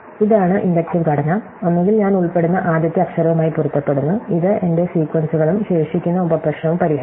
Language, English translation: Malayalam, So, this is the inductive structure, either the first letter matches in which case I include, it in my sequences and solve the remaining subproblem